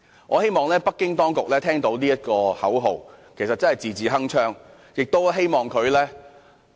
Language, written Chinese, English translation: Cantonese, 我希望北京當局聽到這個口號，真的是字字鏗鏘。, I hope the Beijing Authorities will hear this slogan which is indeed full of substance